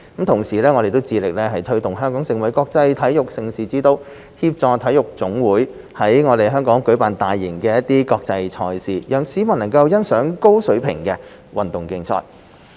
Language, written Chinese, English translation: Cantonese, 同時，我們致力推動香港成為國際體育盛事之都，協助體育總會在香港舉辦大型國際賽事，讓市民觀賞高水平的運動競賽。, In parallel we actively promote Hong Kong as a centre for major international sports events and facilitate the national sports associations NSAs in launching major international events in Hong Kong thereby allowing members of the public to appreciate high - level sports competitions